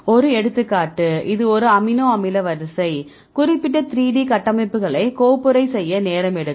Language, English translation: Tamil, So, next one example here this is a amino acid sequence may be it takes time to folder specific 3D structures